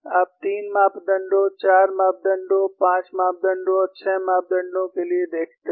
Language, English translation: Hindi, See, for 3 parameters, 4 parameters, 5 parameters and 6 parameters